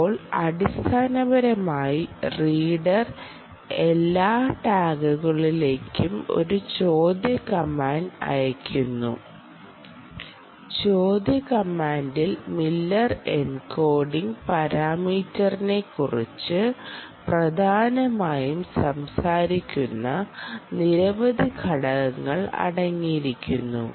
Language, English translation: Malayalam, now, basically, the reader sends out a query command, ah, to all the tags and the query command contains several parameters: ah, which essentially talks about the miller encoding parameter, whether it should do miller encoding